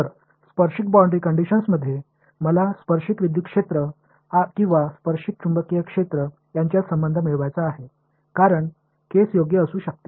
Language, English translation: Marathi, So, in tangential boundary conditions, I want to get a relation between the tangential electric fields or tangential magnetic fields as the case may be right